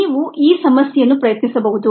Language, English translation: Kannada, you can try this problem out